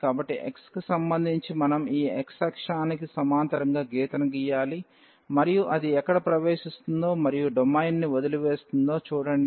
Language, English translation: Telugu, So, for with respect to x we have to draw the line parallel to this x axis, and see where it enters and leave the domain